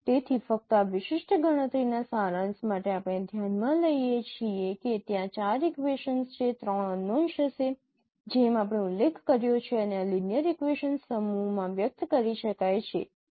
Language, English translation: Gujarati, So just to summarize, no, this particular computation we can consider that there would be four equations three unknowns as we mentioned and this can be expressed in this form set of linear equations